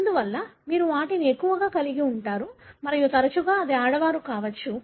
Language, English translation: Telugu, Therefore you would have more of them and more often it would be females